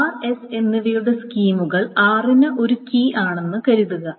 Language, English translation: Malayalam, Suppose the schema of r and s is a key for r